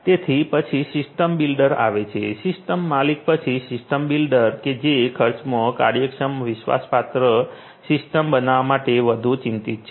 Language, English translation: Gujarati, So, system then comes the system builder; after the system owner, the system builder who is more concerned about building a cost efficient trust worthy the system